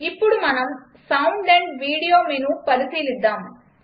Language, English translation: Telugu, Then lets explore Sound amp Video menu